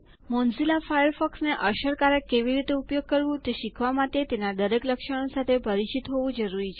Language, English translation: Gujarati, To learn how to use Mozilla Firefox effectively, one should be familiar with each of its features